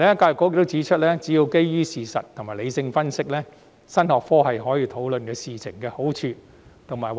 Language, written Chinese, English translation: Cantonese, 教育局還指出，只要是基於事實和理性分析，新學科亦可討論事情的好壞。, EDB also pointed out that the new subject allows discussion of the merits of certain things as long as they are based on facts and rational analysis